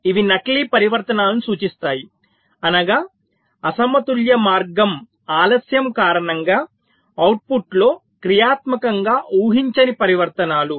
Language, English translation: Telugu, these refer to spurious transitions, that means transitions which are functionally not expected to happen in the output due to unbalanced path delays